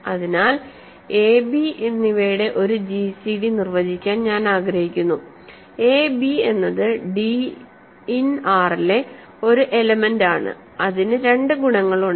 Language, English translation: Malayalam, So, I want to define a gcd of a and b is an element d in R such that it has two properties